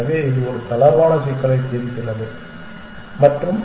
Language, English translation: Tamil, So, it solves a relaxed problem and